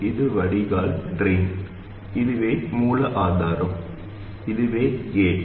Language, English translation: Tamil, This is the drain, this is the source and this is the gate